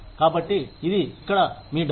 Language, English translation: Telugu, So, this is, here is your money